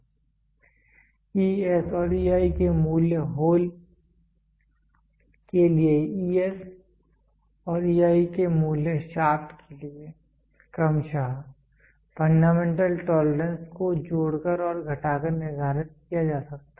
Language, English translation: Hindi, The values of ES and EI are for the hole and value of e s and e i are for the shaft, can be determined by adding and subtracting the fundamental tolerance respectively